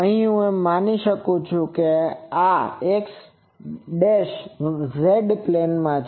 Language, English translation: Gujarati, And I can say that is in the x z plane ok